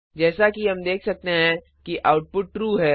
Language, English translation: Hindi, As we can see, the output is True